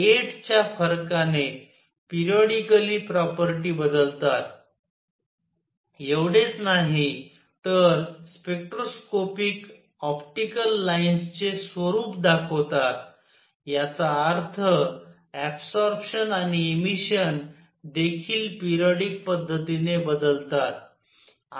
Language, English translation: Marathi, The difference of 8 periodically the property change, not only that the spectroscopic the nature of optical lines; that means, absorption and emission also varied in periodic fashion